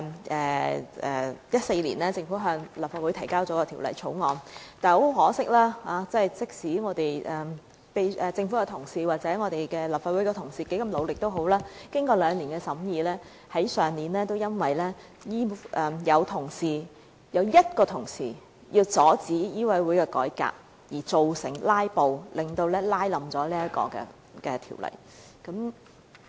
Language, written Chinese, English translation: Cantonese, 在2014年，政府向立法會提交《條例草案》，但很可惜，無論政府官員及立法會同事如何努力，經過兩年審議，去年因為有1名同事為了阻止香港醫務委員會的改革而"拉布"，因而亦拖垮了該項《條例草案》。, In 2014 the Government introduced the Bill into the Legislative Council . Regrettably despite the all - out efforts made by government officials and the colleagues of this Council and after two years of scrutiny the Bill could not get passed because a colleague filibustered to stop the reform of the Medical Council of Hong Kong